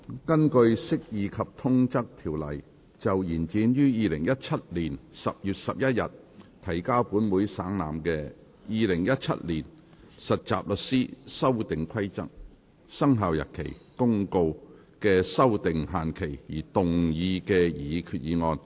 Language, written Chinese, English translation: Cantonese, 根據《釋義及通則條例》就延展於2017年10月11日提交本會省覽的《〈2017年實習律師規則〉公告》的修訂期限而動議的擬議決議案。, Proposed resolution under the Interpretation and General Clauses Ordinance to extend the period for amending the Trainee Solicitors Amendment Rules 2017 Commencement Notice which was laid on the Table of this Council on 11 October 2017